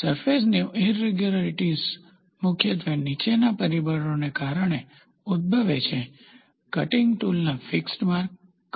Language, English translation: Gujarati, The surface irregularities primarily arise due to the following factors: Feed marks of the cutting tool